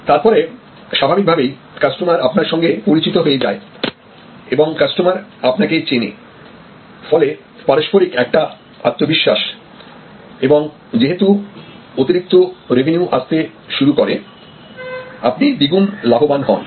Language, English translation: Bengali, Then; obviously, as the customer becomes known to you and the customer knows you and each party develops more confidence in each other, then due to this additional revenues coming in, you are doubly benefited